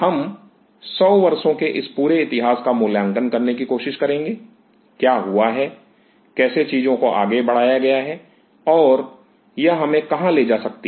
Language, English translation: Hindi, We will try to appreciate this whole history of 100 years; what is happened, how things are progressed and where this can take us